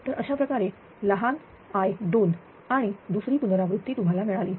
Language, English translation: Marathi, So, these way small i 2 and second iteration you got